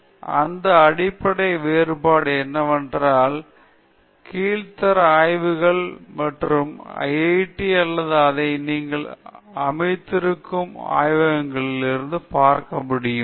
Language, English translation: Tamil, So, that’s what the main difference we can see from the under grade labs and the labs which you are setup in the IIT’s or whatever